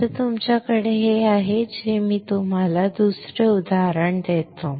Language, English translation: Marathi, Now, once you have this, if I give you another example